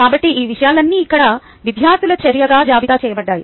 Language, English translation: Telugu, so all these thing is are listed a student action